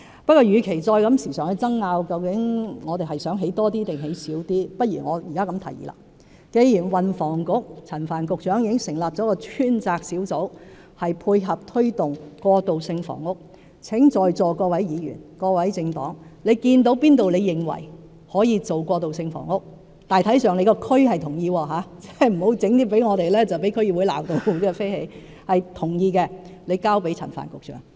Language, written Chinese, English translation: Cantonese, 不過，與其不斷爭拗我們想興建多少過渡性房屋，倒不如我現在提出建議：既然運輸及房屋局局長陳帆已經成立了一個專責小組，配合推動過渡性房屋，如果在座各位議員、各個政黨看到哪處可用作提供過渡性房屋——但要得到地區人士大致同意，可不要向我們提出一些及後會被區議會大罵的建議——請交給陳帆局長。, However rather than arguing incessantly over how many units of transitional housing we wish to build let me make a suggestion here since Secretary for Transport and Housing Frank CHAN has already set up a task force to cope with the transitional housing drive I urge all the Members present and the various political parties to pass to Secretary Frank CHAN suggestions of sites they identified as suitable for transitional housing―but they have to be proposals that have gained the general consent of the local communities not those that would invite a serious backlash at the district council level later on